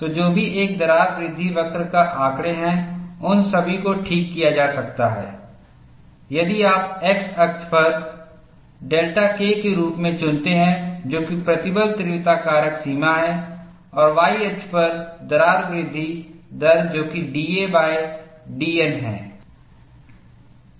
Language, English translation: Hindi, So, whatever the data of individual crack growth curve, all of them could be fitted, if you choose the x axis as delta K, which is the stress intensity factor range and the y axis as crack growth rate given by d a by d N